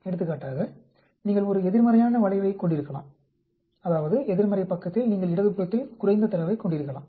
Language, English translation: Tamil, For example, you can have a negative skew that means on the negative side you may have a less data at the left hand side